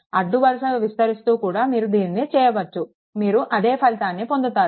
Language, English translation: Telugu, Row wise also you can do it, you will get the same result